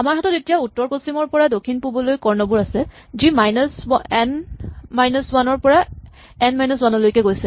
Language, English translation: Assamese, Now, similarly for the north west to south east the range goes from minus N minus minus N minus 1 to plus N minus 1